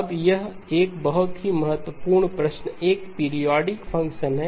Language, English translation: Hindi, Now a very important question, e of j omega is that a periodic function